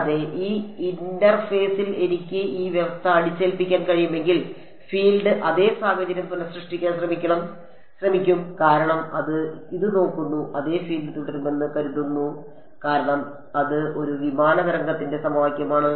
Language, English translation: Malayalam, And, if I am able to impose this condition at that interface it will try to recreate the same situation that the field is because it looks at this is yeah the field is suppose to go on because that is the equation obeyed by a plane wave that is travelling unbound right